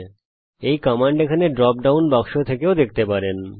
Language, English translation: Bengali, I can also look up this command from the drop down box here